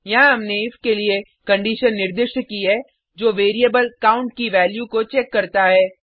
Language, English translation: Hindi, Here we have specified a condition for if which checks the value of variable count